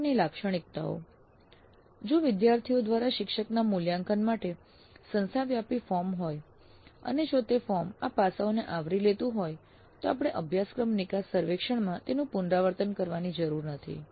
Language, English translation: Gujarati, Then instructor characteristics as I mentioned if there is an institute wide form for faculty evaluation by students and if that form covers these aspects then we don't have to repeat them in the course exit survey